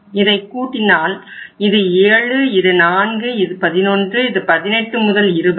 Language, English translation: Tamil, This is if you total it up it works out as this is 7, this is 4, this is 11, and then it is 18 to 20